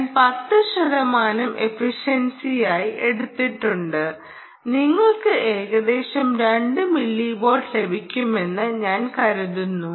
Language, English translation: Malayalam, ok, i have taken ten percent as the efficiency and i think that you will get about two milliwatts, roughly two milliwatts, if you are lucky